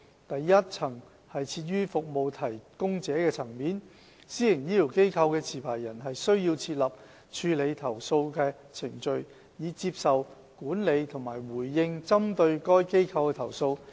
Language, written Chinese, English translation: Cantonese, 第一層設於服務提供者層面，私營醫療機構的持牌人須設立處理投訴程序，以接受、管理和回應針對該機構的投訴。, The first - tier will be at the service delivery level where the licensee of a PHF must put in place a complaints handling procedure for receiving managing and responding to complaints that are received against the facility